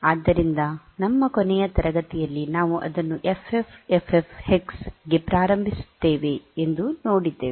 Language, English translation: Kannada, So, we in in our last class we have seen that we initialize it to FFFF hex